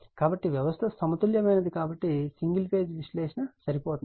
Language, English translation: Telugu, So, system is balanced, so single phase analysis is sufficient